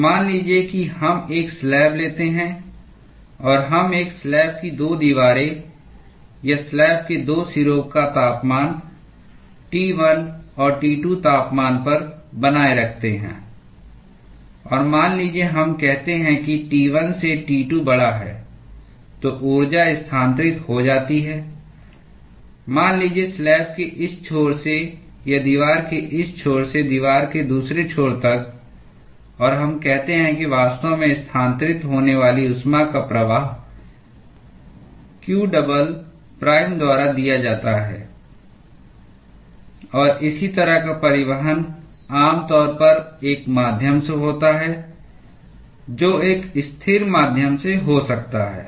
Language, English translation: Hindi, So, suppose we take a slab and we maintain the temperature of the 2 walls of a slab or 2 ends of a slab at temperature T 1 and T 2; and suppose let us say that T 1 is greater than T 2, then the energy is transferred let us say, from this end of the slab or this end of the wall to other end of the wall; and let us say that the flux of heat that is actually transferred is given by q double prime, and this such kind of a transport typically will occur through a medium which could be a stationary medium